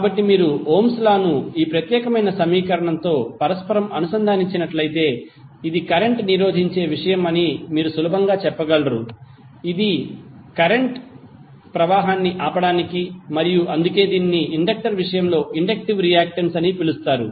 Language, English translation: Telugu, So if you correlate that Ohm's law with this particular equation, you can easily say that this is something which resist the flow and that is why it is called inductive reactance in case of inductor